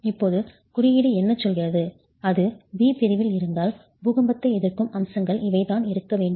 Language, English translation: Tamil, The code then tells you that if it is in category B these are the earthquake resistant features that must be there